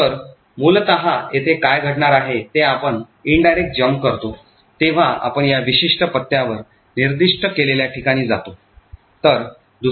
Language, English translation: Marathi, So, essentially what is going to happen here is when you make an indirect jump, so you jump to a location specified at this particular address